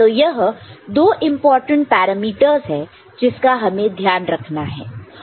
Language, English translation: Hindi, So, these are the two important parameters for us to take note of